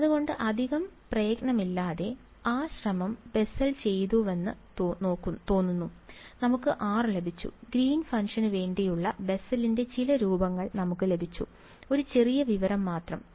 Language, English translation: Malayalam, So, it seems that without too much effort because, the effort was done by Bessel, we have got r we have got some form for the Bessel’s for the Green’s function, just one small piece of information